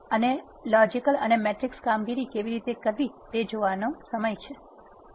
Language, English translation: Gujarati, In this lecture we are going to see how to do arithmetic operations, logical operations and matrix operations in R